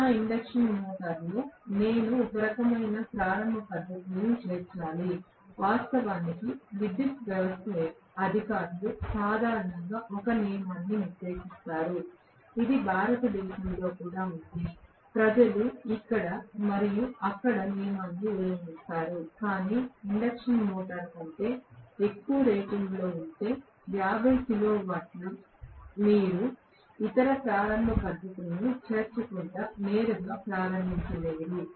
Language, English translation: Telugu, I have to include some kind of starting techniques in my induction motor, actually the power system authorities generally put up a rule, it is there in India also people flout the rule here and there, but, if an induction motor is rated for more than 50 kilowatts you cannot start it directly without including any other starting methods